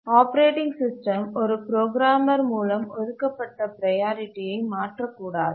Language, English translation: Tamil, The operating system should not change a programmer assigned priority